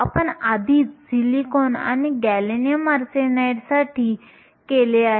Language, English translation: Marathi, You already did for silicon and gallium arsenide